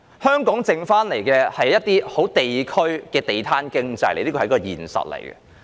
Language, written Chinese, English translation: Cantonese, 香港剩下的只有地區的地攤經濟，這是現實。, Hong Kong is only left with district - based stall economy and this is the reality